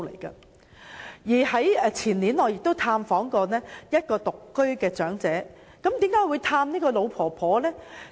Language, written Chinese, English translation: Cantonese, 我在前年曾探訪一名獨居長者，為何我要拜訪這位老婆婆呢？, I have visited an elderly person living alone the year before last and what made me go visiting this old lady back then?